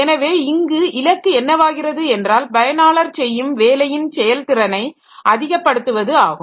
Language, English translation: Tamil, So, here the goal is to maximize the work that the user is performing